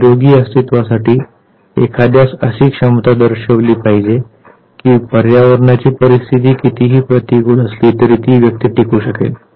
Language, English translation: Marathi, And for the healthy survival one has to actually show competence that irrespective of the adversity of the environmental condition one can survive